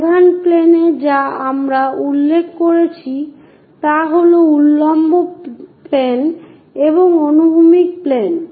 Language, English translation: Bengali, The principle planes or the main planes what we are referring are vertical planes and horizontal planes